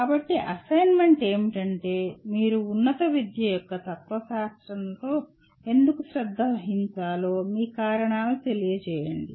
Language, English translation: Telugu, So the assignment is give your reasons why you should be concerned with philosophy of higher education, okay